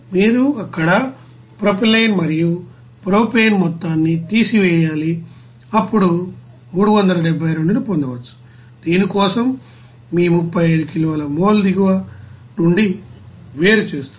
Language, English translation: Telugu, You have to subtract that, you know propylene and propane amount there, then you can get 372, your 35 kilo mole for this, you know separator from the bottom